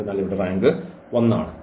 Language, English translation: Malayalam, So, the rank is 2